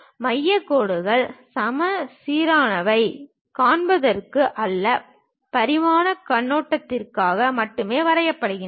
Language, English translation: Tamil, Center lines are drawn only for showing symmetry or for dimensioning point of view